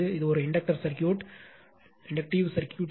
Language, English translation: Tamil, This is an inductive circuit, so 8 plus j 6 ohm